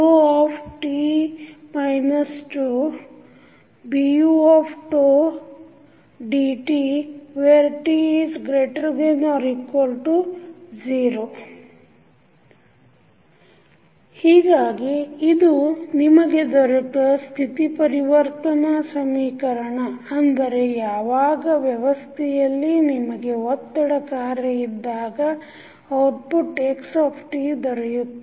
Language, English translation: Kannada, So, this is what you got the state transition equation that is the output xt when you have forcing function present in the system